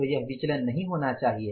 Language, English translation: Hindi, So, this variance should not be there